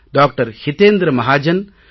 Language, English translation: Tamil, Hitendra Mahajan and Dr